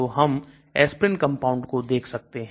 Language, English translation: Hindi, So we can see compound aspirin